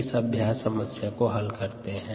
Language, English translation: Hindi, so let us go and solve this problem